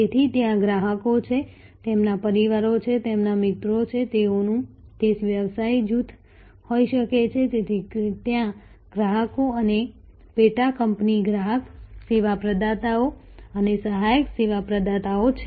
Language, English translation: Gujarati, So, there are customers, their families, their friends their it can be a business groups, so there are customers and subsidiary customers service providers and subsidiary service providers